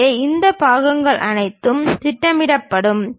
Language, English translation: Tamil, So, all these parts will be projected